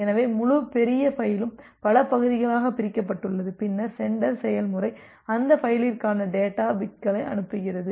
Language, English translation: Tamil, So, the entire large file is divided into multiple chunks and then the sender process sending the data bits for that file